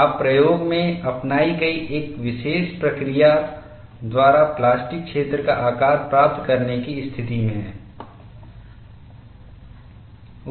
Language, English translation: Hindi, You are in a position to get the shape of the plastic zone by a particular procedure adopted in the experiment